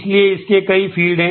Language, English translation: Hindi, So, it has multiple fields